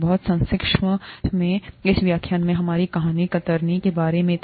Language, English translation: Hindi, Very briefly, in this lecture, our story was about, was about shear